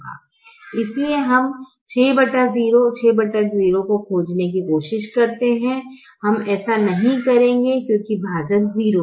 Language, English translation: Hindi, six divided by zero we will not do because the denominator is zero